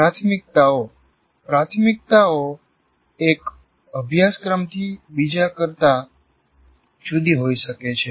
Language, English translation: Gujarati, Priorities can vary from one course to the other